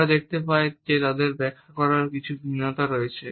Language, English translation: Bengali, We find that there are certain variations in the way they can be interpreted